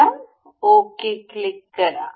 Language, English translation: Marathi, And we will click ok